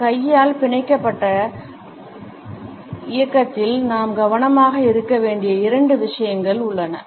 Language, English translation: Tamil, In these hand clenched movement there are a couple of things which we have to be careful about